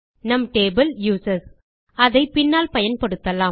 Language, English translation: Tamil, Our table is users, which we can use later on